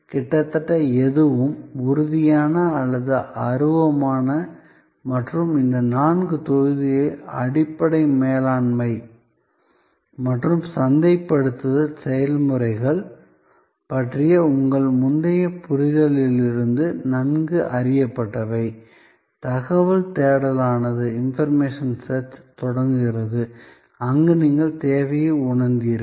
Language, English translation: Tamil, Almost anything, tangible or intangible and these four blocks are well known from your previous understanding of basic management and marketing processes, information search that is where it starts were you felt the need